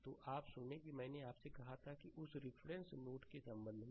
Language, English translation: Hindi, So, hear you have the I told you that with respect to that reference nodes